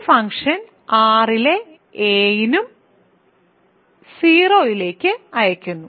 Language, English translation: Malayalam, This function sends a to 0 for all a in R